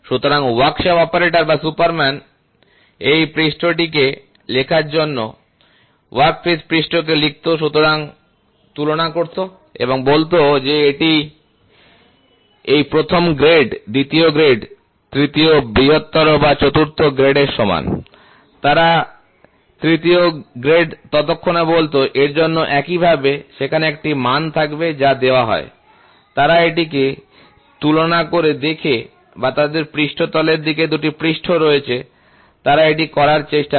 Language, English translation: Bengali, So, the workshop operator or the superman used to scribe the surface, scribe the workpiece surface, compare and say this is equal to this first grade, second grade, third greater or fourth grade, they used to say third grade then, correspondingly for this there will be a value which is given, so then, they compare it and see